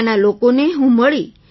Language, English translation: Gujarati, I met people there